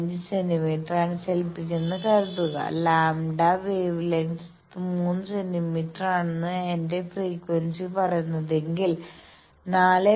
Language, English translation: Malayalam, 5 centimetre and if my frequency is says that lambda wavelength is 3 centimetre then, I can say instead of 4